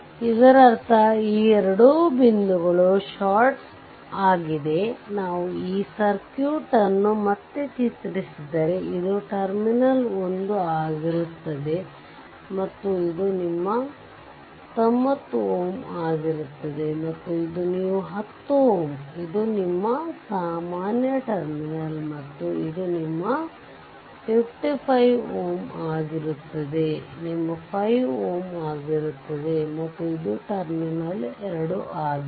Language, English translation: Kannada, So, if you do so; that means, if you redraw this circuit again if we redraw this circuit again, then this will be terminal 1 and this will be your 90 ohm and this will be your 10 ohm this is your common terminal and, this will be your 55 ohm and this will be your 5 ohm and this is terminal 2 right